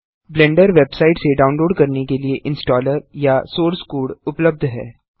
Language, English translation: Hindi, The installer or source code is available for download from the Blender website